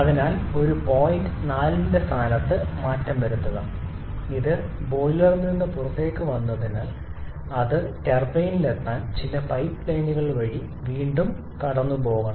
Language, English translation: Malayalam, So, there is a change in the location of point 4 and once it comes out of the boiler then it again has to pass through some pipelines to reach the turbine